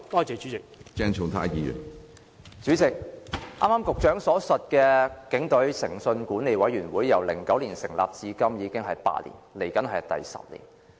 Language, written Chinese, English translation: Cantonese, 主席，局長剛才所說的"警隊誠信管理委員會"，自2009年成立至今已經8年，不久便會踏入第十年。, President the Force Committee on Integrity Management mentioned by the Secretary just now has been established for eight years since 2009 and it will mark its 10 year shortly